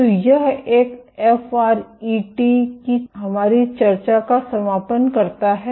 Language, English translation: Hindi, So, this concludes our discussion of FRET